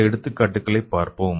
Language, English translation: Tamil, So let us see some of the advantages